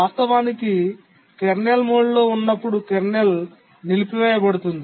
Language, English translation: Telugu, Actually, the kernel disables when in the kernel mode